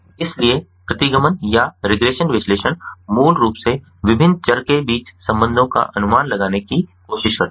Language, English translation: Hindi, so regression analysis basically tries to estimate the relationship among the different variables